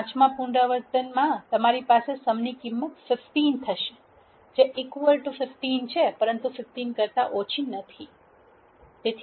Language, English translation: Gujarati, At the fifth iteration what it does is you have a sum variable 15 which is equal to 15, but not less than 15